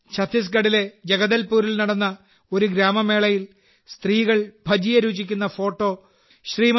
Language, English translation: Malayalam, Rumelaji had sent a photo of women tasting Bhajiya in a village fair in Jagdalpur, Chhattisgarh that was also awarded